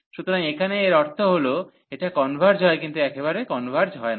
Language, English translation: Bengali, So, here meaning is that this converges, but not absolutely